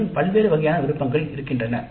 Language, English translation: Tamil, Again, varieties of options are available